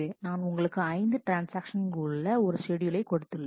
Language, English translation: Tamil, I have given a schedule which has 5 transactions